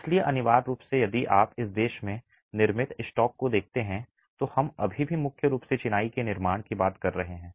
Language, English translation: Hindi, So essentially, if you look at the built stock in this country, we are still talking of predominantly masonry constructions